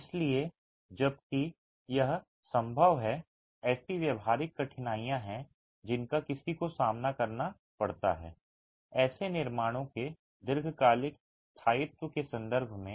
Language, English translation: Hindi, So, while this is possible, there are practical difficulties that one has to face in terms of long term durability of such constructions